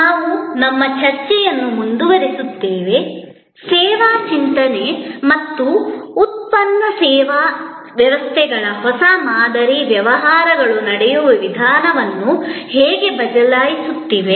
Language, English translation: Kannada, We will continue our discussion, how service thinking and a new paradigm of product service systems are changing the way businesses are done